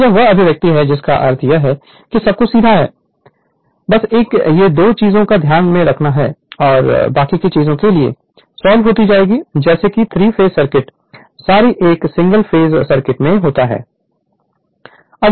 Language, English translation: Hindi, So, this is the expression I mean everything is straight forward just you have to keep it one or 2 things in mind and rest is solving like a solving like your 3 phase circuit right a sorry single phase circuit right